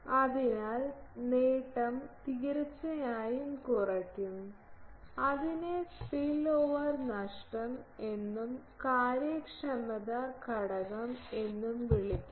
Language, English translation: Malayalam, So, gain will definitely reduce so, that is called spillover loss and efficiency factor due to that is called spillover efficiency